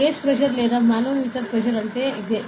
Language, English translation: Telugu, So, that is what a gauge pressure or manometer pressure is